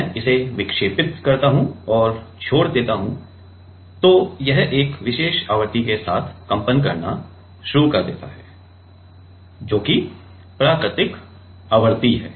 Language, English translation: Hindi, I deflect it and leave it starts to vibrate with a particular frequency that is it is natural frequency